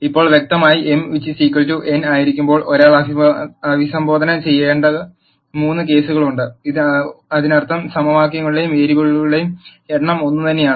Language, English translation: Malayalam, Now, clearly there are three cases that one needs to address when m equals n; that means, the number of equations and variables are the same